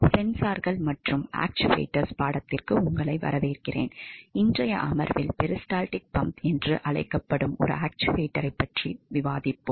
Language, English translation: Tamil, Welcome to the Sensors and Actuators course, in today’s session we will be discussing about an actuator that is called as peristaltic pump